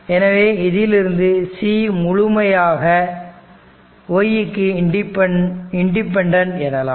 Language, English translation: Tamil, So, because of this relationship we will say c is completely independent y